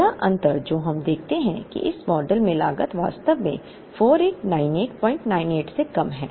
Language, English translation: Hindi, The first difference that we see is that in this model, the cost is actually lesser than 4898